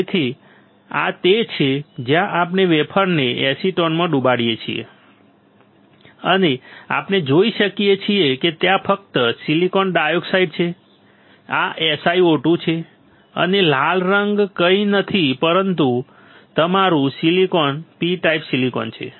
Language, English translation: Gujarati, So, this is where we dip the wafer in acetone, and we can see there is only silicon dioxide this is SiO 2 and the red colour is nothing, but your silicon P type silicon right